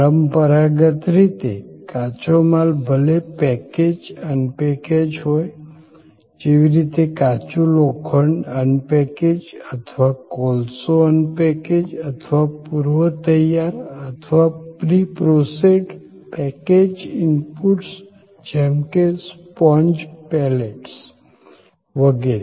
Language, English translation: Gujarati, Traditionally, raw materials, whether package unpackaged, like iron ore as unpackaged or coal as unpackaged or pre prepared or preprocessed packaged inputs like say a sponge pallets, etc